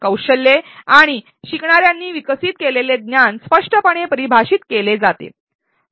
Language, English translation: Marathi, The skills and knowledge to be developed by the learners are clearly defined